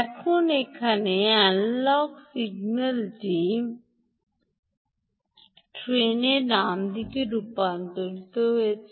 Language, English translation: Bengali, now the analogue signal here is converted to a pulse train